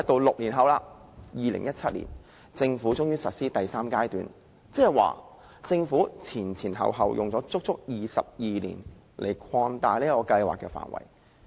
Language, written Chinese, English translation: Cantonese, 六年後，至2017年，政府終於實施第三階段，即政府前後花了足足22年擴大這項計劃的範圍。, Six years later in 2017 the Government finally introduced the third phase . In other words the Government spent a total of 22 years to extend the scope of MEELS